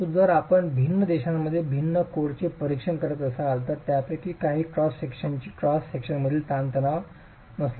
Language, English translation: Marathi, So, if you were to examine different codes in different countries, some of them use a nonlinear stress strain relationship for the cross section, the compressive stress in the cross section